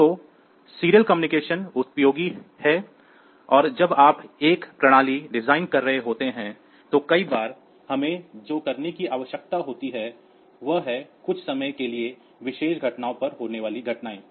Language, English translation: Hindi, So, the serial communication is useful and when you are designing a system then many a times what we need to do is the events will or need it needed to be occurred at some particular instants of time